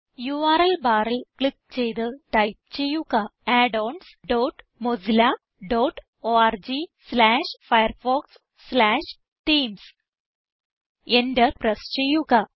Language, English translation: Malayalam, Now, click on the URL bar and type addons dot mozilla dot org slash firefox slash themes Press Enter